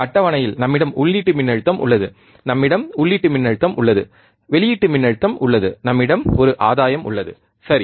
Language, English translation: Tamil, Table is we have a input voltage, we have a input voltage, we have the output voltage, and we have a gain, correct